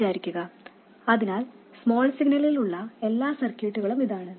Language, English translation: Malayalam, So this is all the circuit we will have in the small signal